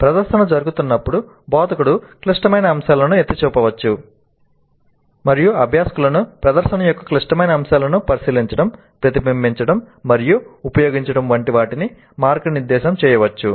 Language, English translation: Telugu, So while demonstration is in happening, instructor can point out to the critical elements and guide the learners into observing, reflecting on and using those critical points, critical elements of the demonstration